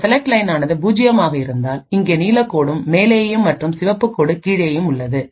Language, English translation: Tamil, If the select line is 0 then we have the blue line on top over here and the red line at the bottom